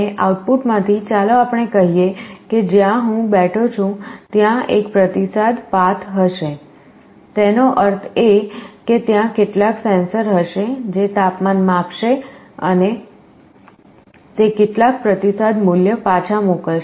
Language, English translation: Gujarati, And from the output let us say the room where I am sitting, there will be a feedback path; that means, there will be some sensors, which will be reading the temperature and it will be sending back some feedback value